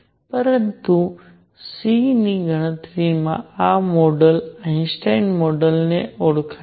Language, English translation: Gujarati, By the way, this model of calculating C is known as Einstein model